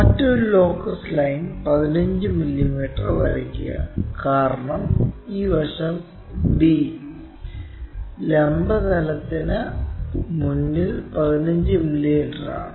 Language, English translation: Malayalam, Then draw another locus line 15 mm, because this end D is 15 mm in front of vertical plane